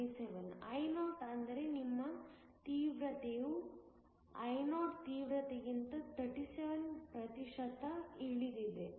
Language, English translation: Kannada, 37 Io which means, your intensity has dropped to 37 percent of the original intensity Io